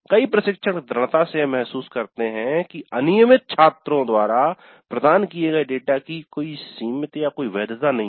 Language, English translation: Hindi, Many instructors strongly feel that the data provided by irregular within courts, irregular students has limited or no validity